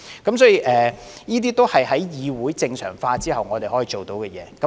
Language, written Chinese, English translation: Cantonese, 這些都是在議會正常化後我們能辦到的事情。, All these are what we have managed to do after the normalization of this Council